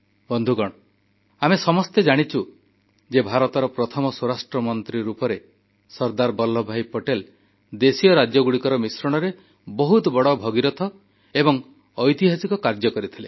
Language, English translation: Odia, Friends, all of us know that as India's first home minister, Sardar Patel undertook the colossal, historic task of integrating Princely states